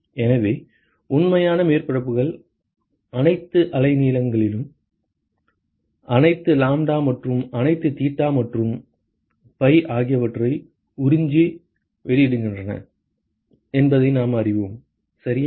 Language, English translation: Tamil, So, we know that real surfaces absorb and emit at all wavelengths, all lambda and all theta and phi ok